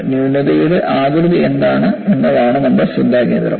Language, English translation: Malayalam, The focus is, what is the shape of the flaw